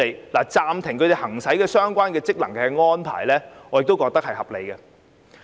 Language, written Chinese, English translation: Cantonese, 我認為暫停他們行使相關職能的安排合理。, I consider it reasonable for the members relevant functions to be suspended